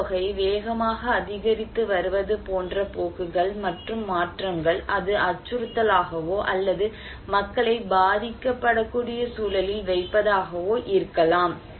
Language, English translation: Tamil, And trends and changes like the population, if the population is increasing rapidly, then also it could be a threat or putting people into vulnerable context